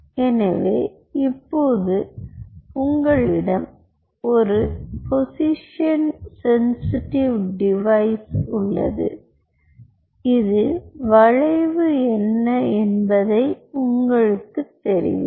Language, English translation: Tamil, so now you have a position sensitive device which will tell you what is the bend and this is your laser source